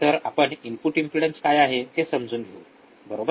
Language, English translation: Marathi, So, we will we understand what is input impedance, right